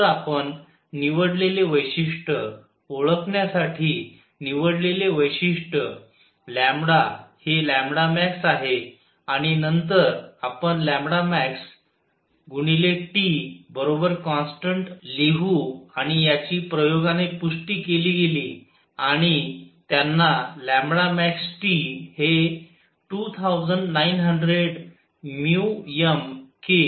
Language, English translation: Marathi, So, the feature we choose; feature chosen to identify lambda is lambda max and then we write lambda max times T is equal to constant and this was confirmed by experiments carried out and they found that lambda max times T is of the order of 2900 micrometer k